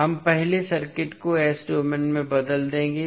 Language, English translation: Hindi, So we will first transform the circuit into s domain